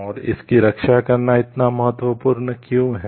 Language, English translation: Hindi, And why it is so important to protect it